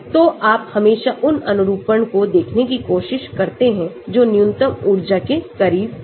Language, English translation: Hindi, So, you always try to look at conformations which are closer to minimum energy as well